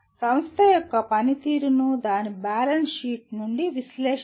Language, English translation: Telugu, Analyze the performance of an organization from its balance sheet